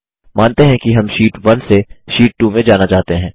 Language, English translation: Hindi, Lets say we want to jump from Sheet 1 to Sheet 2